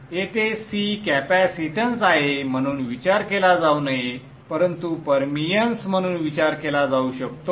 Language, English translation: Marathi, Here C is not to be thought of as capacitance, but as permeance